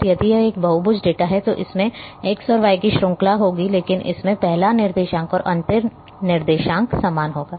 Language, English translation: Hindi, And if it is a polygon data then it will have a series of x and y, but the first coordinate and the last coordinate is going to be the same